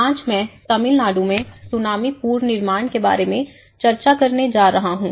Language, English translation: Hindi, Today, I am going to discuss about Tsunami Reconstruction in Tamil Nadu in two parts